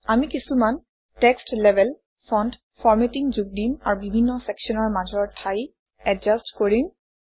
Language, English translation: Assamese, We will add some text labels, fonts, formatting and adjust the spacing among the various sections